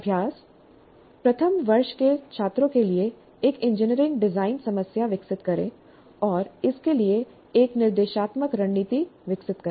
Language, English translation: Hindi, Develop one engineering design problem for first year students and develop an instructional strategy for it